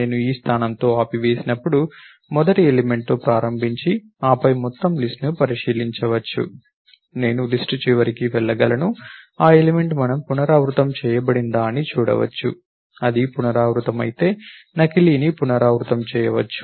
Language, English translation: Telugu, Whereas I have stopped with this position, start with the first element, then traverse to the entire list over here, I can go to the end of the list, see that element is do we repeated, if it repeated, repeat the duplicate